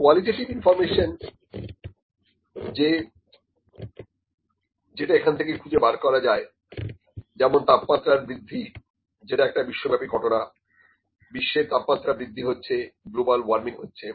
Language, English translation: Bengali, Qualitative information or the information that can be extracted is the temperature rise can be the global phenomena, global temperature rise is there, global warming is here, this is one thing, ok